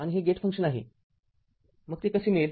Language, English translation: Marathi, And it is a gate function, so how we will get it